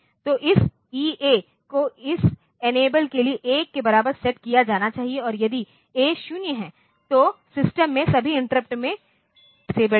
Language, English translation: Hindi, So, this EA must be set to equal to 1 for this enable and if A is 0, then all the interrupts in the system they are disabled